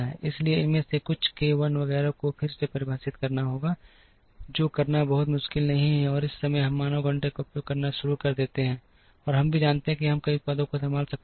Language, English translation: Hindi, Therefore, some of these k 1 etcetera, will have to be redefined, which is not very difficult to do and the moment, we start using man hours we also know that we can handle multiple products